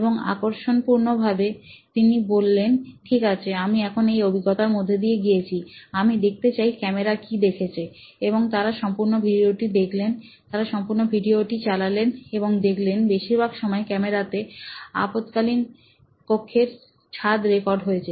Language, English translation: Bengali, Now that I have gone through this experience, I want to see what the camera saw’ and they saw the whole video, they played the whole video and found that most of the time the video had recorded the roof of the emergency room, okay